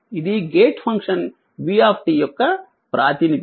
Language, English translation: Telugu, This is your representation of v t that gate function